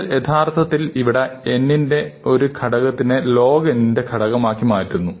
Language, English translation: Malayalam, So, what we have really done is, we have taken a factor of n and replaced it by factor of log n